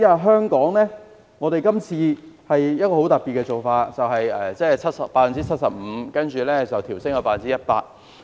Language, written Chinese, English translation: Cantonese, 香港這次的做法很特別，寬免百分比由 75% 調升至 100%。, Presently Hong Kong has adopted a special initiative of raising the percentage for tax reduction from 75 % to 100 %